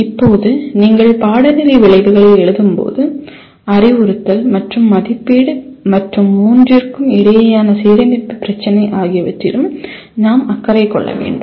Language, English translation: Tamil, Now when you write course outcomes we are also concerned with the instruction and assessment as well and the issue of alignment between all the three